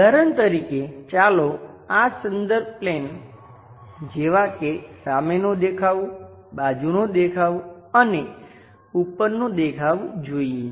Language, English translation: Gujarati, For example, let us look at these reference planes like, front view, side view and top view kind of things